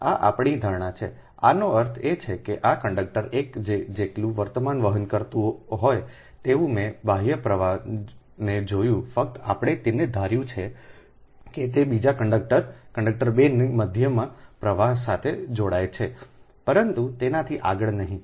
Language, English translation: Gujarati, that means whatever extra, this ah conductor one carrying current i saw external flux only we assume it links up to the currents, up to the centre of the second conductor, conductor two, but not beyond that